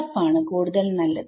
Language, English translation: Malayalam, SF is much better because